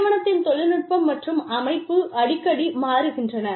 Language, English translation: Tamil, The company's technology, and organization structure, change frequently